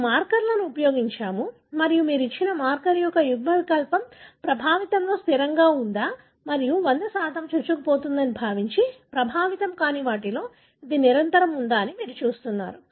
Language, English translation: Telugu, We have used markers and you are looking at which allele of a given marker is invariably present in the affected and whether it is invariably absent in the unaffected, assuming 100% penetrance